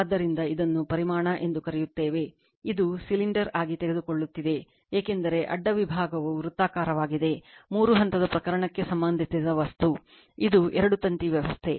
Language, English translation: Kannada, So, this is your what you call the volume, it is taking as cylinder right, because cross section is circular, divided by your material for the three phase case, it is a two wire system